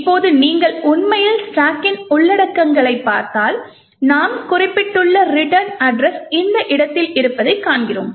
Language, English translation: Tamil, Now if you actually look at the contents of the stack we see that the return address what we just mentioned is at this location